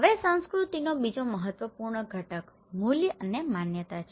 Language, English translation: Gujarati, Now, another important component of culture is the values and beliefs okay